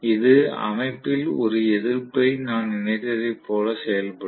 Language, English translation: Tamil, So, it will behave as though I have connected a resistance, basically in the system